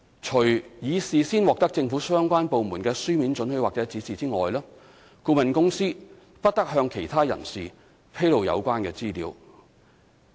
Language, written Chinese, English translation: Cantonese, 除已事先獲得政府相關部門的書面准許或指示外，顧問公司不得向其他人士披露有關資料。, Except with the prior written consent or as instructed by the relevant government department the consultant shall not disclose such information or particulars to any other person